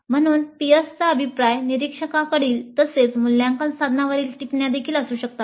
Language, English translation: Marathi, So the peer feedback can be both from observers as well as comments on assessment instruments